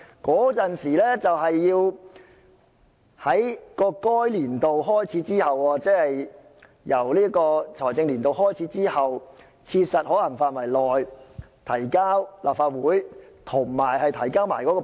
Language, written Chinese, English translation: Cantonese, 該預算須在該年度開始之後，即在財政年度開始之後的切實可行範圍內與撥款條例草案一同提交立法會。, The estimates shall upon the commencement of that year be introduced into the Legislative Council at the same time as the Appropriation Bill as soon as practicable after the start of the financial year